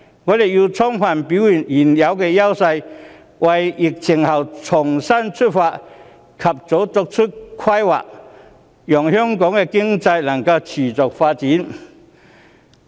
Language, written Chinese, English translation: Cantonese, 香港要充分表現出現有的優勢，為疫情後的重新出發及早規劃，讓香港的經濟能夠持續發展。, Hong Kong has to fully demonstrate its existing edges and make early planning to start anew after the epidemic so as to attain the sustainable development of the economy